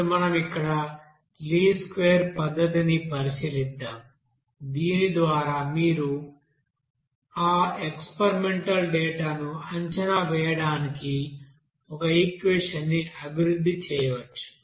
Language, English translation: Telugu, Now let us consider that least square method here by which you can you know develop an equation to predict that experimental data